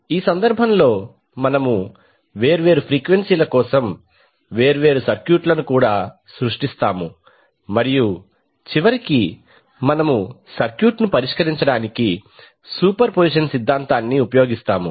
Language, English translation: Telugu, So, in this case we will also create the different circuits for different frequencies and then finally we will use the superposition theorem to solve the circuit